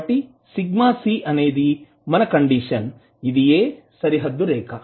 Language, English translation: Telugu, So sigma c is your condition, which is the boundary line